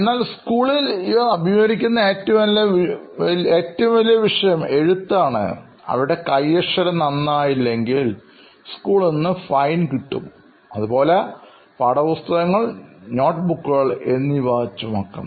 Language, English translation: Malayalam, But at school they face that they still have to write and hold their pens like this, they are penalized if their handwriting is not good, they have to carry a whole bunch of things with them like textbooks and notebooks